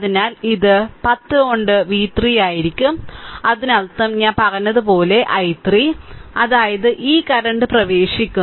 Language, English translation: Malayalam, So, it will be v 3 by 10 right; that means, and i 3 as I told you; that means, i 3 right this current is entering